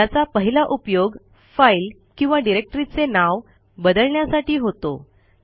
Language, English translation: Marathi, It is used for rename a file or directory